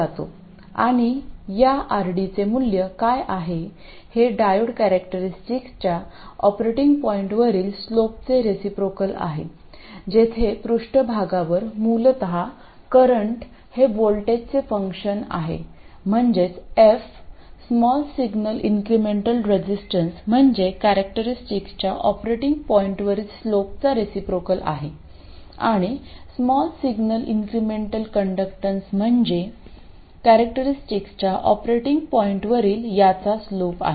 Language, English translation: Marathi, This is ID and this is VD and this is some resistance which is known as the small signal incremental resistance and what is the value of this r d this is the reciprocal of the slope of the diode characteristic at the operating point where this f is basically the current as a function of voltage, that is this f, the small signal incremental resistance is the inverse of the slope of this characteristic at the operating point, and the small signal incremental conductance is slope of this at the operating point